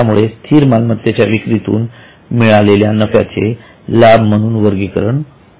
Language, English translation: Marathi, So, any gains from sale of fixed asset would be categorized as a gain